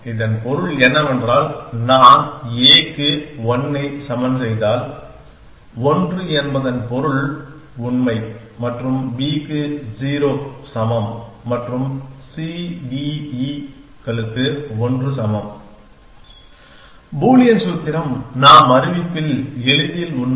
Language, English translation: Tamil, This means that I am thinking weather if I put a equal to 1, 1 meaning true and b is equal to 0 and c, d, e and equal to one Boolean formula we true on notice easily